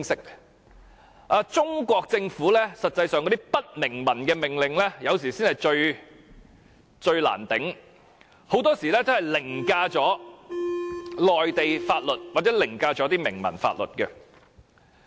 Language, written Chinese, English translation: Cantonese, 事實上，中國政府的不明文命令才是最令人難以接受的，因為很多時候會凌駕內地法律或明文法律。, In fact what is most unacceptable are the hidden orders of the Chinese Government as they often override the laws of the Mainland or explicit legal provisions